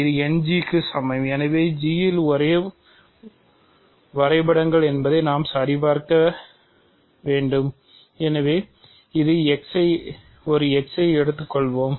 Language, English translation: Tamil, So, we are supposed to check that these are same maps on G so, let us take an x